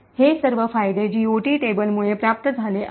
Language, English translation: Marathi, All of these advantages are achieved because of the GOT table